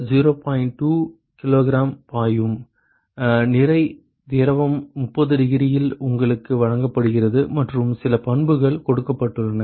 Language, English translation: Tamil, 2 k g per second, mass fluid at 30 degrees that is what is given to you and some properties are given; we will come to that later